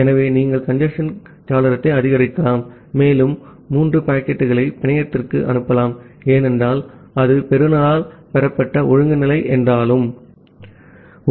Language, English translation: Tamil, So that means, you can increase the congestion window, and send three more packets to the network, because that has been received by the receiver, although out of order